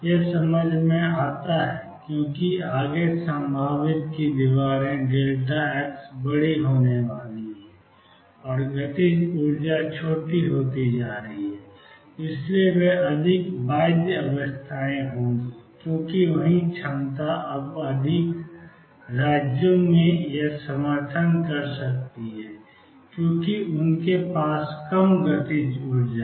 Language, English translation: Hindi, That make sense because, further away the walls of the potential the delta x is going to become larger and kinetic energy going to become smaller and therefore they will be more bound states, because the same potential can now by in or support more states because they have lower kinetic energy